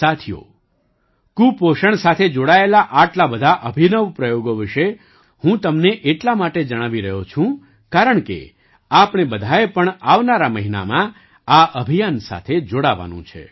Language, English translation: Gujarati, Friends, I am telling you about so many innovative experiments related to malnutrition, because all of us also have to join this campaign in the coming month